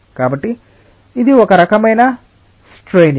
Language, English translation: Telugu, so this is the kind of straining